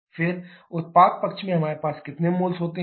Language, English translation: Hindi, Now on the reactant side how many number of moles you have